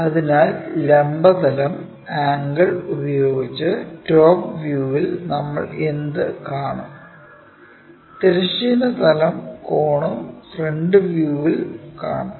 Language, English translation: Malayalam, So, with vertical plane angle what we will see it in the top view and the horizontal plane angle we will see it in the front view